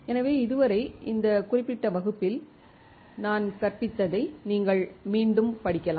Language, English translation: Tamil, So, till then you guys can again read whatever I have taught in this particular class